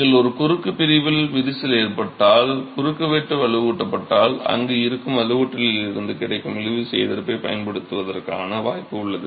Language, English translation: Tamil, When you have cracking in a cross section if the cross section is reinforced you have the possibility of using the tensile resistance available from the reinforcement that is sitting there